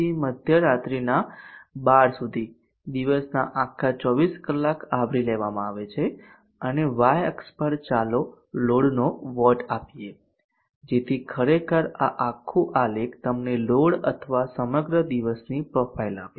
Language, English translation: Gujarati, to 12midnight covers the entire 24 hours of the day and on the y axis let us have waves of the load so that actually this whole graph should give you the profile of the load or the entire T